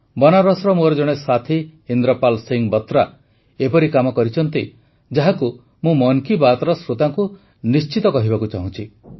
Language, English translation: Odia, My friend hailing from Benaras, Indrapal Singh Batra has initiated a novel effort in this direction that I would like to certainly tell this to the listeners of Mann Ki Baat